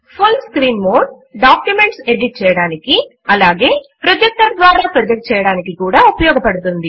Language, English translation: Telugu, The full screen mode is useful for editing the documents as well as for projecting them on a projector